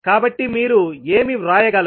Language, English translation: Telugu, So what you can write